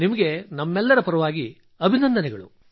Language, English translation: Kannada, Our congratulations to you on that